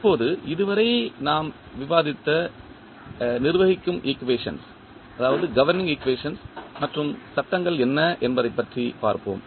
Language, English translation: Tamil, Now, let us see what are the governing equations and the laws we have discussed till now